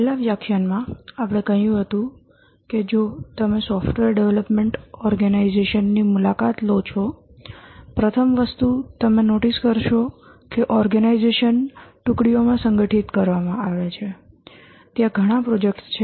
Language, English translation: Gujarati, In the last lecture we had said that if you visit a software development organization, the first thing you will notice is that the organization is structured into teams